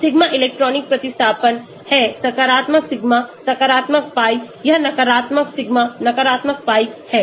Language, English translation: Hindi, sigma is the electronic substitution positive sigma positive pi this is negative pi negative sigma